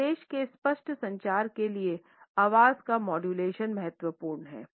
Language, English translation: Hindi, Voice modulation or waviness is important for a clear communication of the message